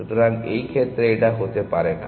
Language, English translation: Bengali, So, this cannot be the case